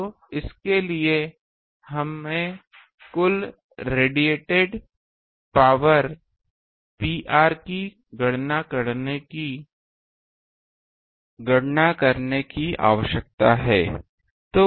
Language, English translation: Hindi, So, for that we need to calculate the total radiated power P r